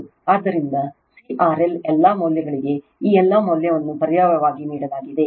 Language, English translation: Kannada, So, C R L all values are given you substitute all this value